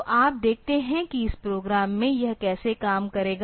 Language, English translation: Hindi, So, you see that in this program how will it operate